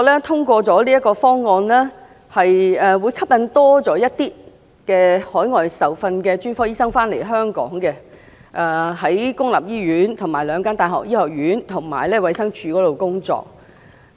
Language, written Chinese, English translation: Cantonese, 通過這個方案後，可以吸引多些海外受訓的專科醫生到香港公立醫院、兩間大學醫學院，以及衞生署工作。, After the measure is adopted it is believed that more overseas trained specialists will be attracted to join Hong Kongs public sector the faculties of medicine of the two universities as well as the Department of Health